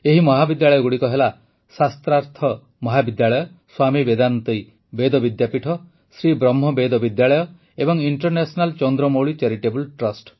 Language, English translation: Odia, These colleges are Shastharth College, Swami Vedanti Ved Vidyapeeth, Sri Brahma Veda Vidyalaya and International Chandramouli Charitable Trust